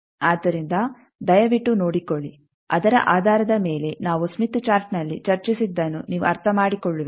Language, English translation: Kannada, So, please go through, you will understand whatever we have discussed in smith chart based on that